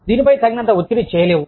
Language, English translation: Telugu, Cannot stress on this enough